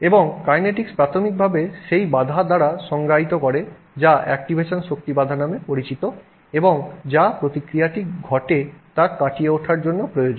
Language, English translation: Bengali, And the kinetics is primarily defined by that barrier, that activation energy barrier that is required to be overcome for the reaction to occur